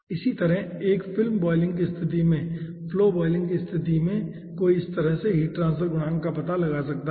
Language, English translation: Hindi, similarly, in case of a film boiling in flow boiling situation, 1 can find out the ah heat transfer coefficient in this fashion